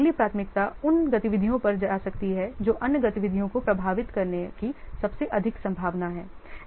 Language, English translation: Hindi, The next priority can go to that the activities which are most likely to affect other activities